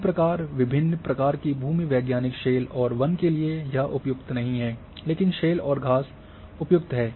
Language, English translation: Hindi, Similarly, for different type of geology say shale and forest not suitable but shale and grass it is suitable